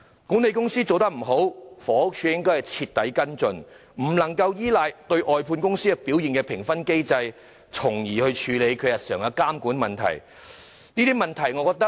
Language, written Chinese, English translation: Cantonese, 管理公司做得不好，房署應該徹底跟進，不可以依賴外判公司表現的評分機制來處理日常的監管問題。, If a management company does not perform well HD should follow it up thoroughly . It cannot rely on the performance assessment mechanism for outsourced service contractors to deal with the daily regulation issues